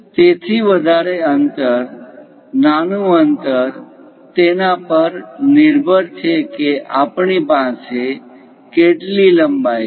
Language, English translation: Gujarati, So, the greater distance, smaller distance depends on how much length we have leftover